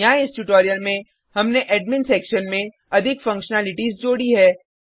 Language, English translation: Hindi, Here, in this tutorial we have added more functionalities to the Admin Section